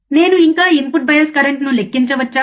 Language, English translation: Telugu, Can I still calculate input bias current, right